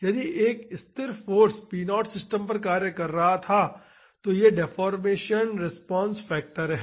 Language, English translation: Hindi, If a constant force p naught was acting on the system and this is the deformation response factor